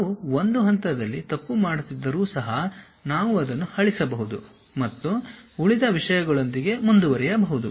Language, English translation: Kannada, Even if we are making a mistake at one level we can delete that, and continue with the remaining things